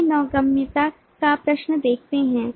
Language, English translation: Hindi, let us see the question of navigability